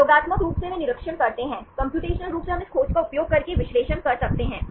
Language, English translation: Hindi, Experimentally they observe, computationally we can do this analysis using this search